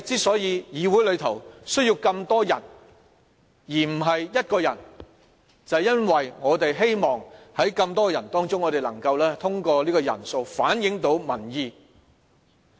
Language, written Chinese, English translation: Cantonese, 所以，議會需要更多人而不是一個人，便是因為我們希望在這麼多人當中，能夠通過人數反映到民意。, Hence a legislature needs the participation of many people instead of just a handful because it is hoped that a large number of participants can reflect public opinions